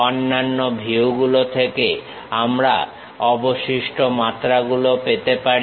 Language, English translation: Bengali, The remaining dimensions we can get it from the other views